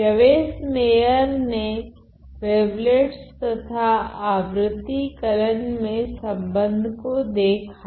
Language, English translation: Hindi, So, Yves Meyer saw the relation between wavelets and harmonic analysis